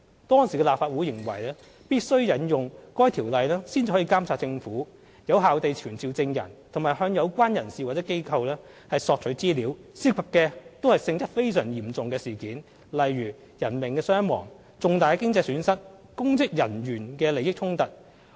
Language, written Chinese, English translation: Cantonese, 當時的立法會認為必須引用《條例》才能監察政府、有效地傳召證人及向有關人士或機構索取資料，涉及的都是性質非常嚴重的事件，例如人命傷亡、重大經濟損失或公職人員的利益衝突。, In the past with a view to monitoring the Government effectively summoning witnesses and obtaining information from individuals or organizations the Legislative Council mainly invoked the Legislative Council Ordinance to look into incidents of extremely serious nature such as fatalities major economic losses or conflict of interests involving high - ranking public officers